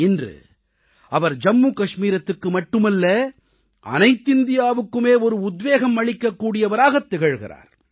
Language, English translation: Tamil, Today, he has become a source of inspiration not only in Jammu & Kashmir but for the youth of the whole country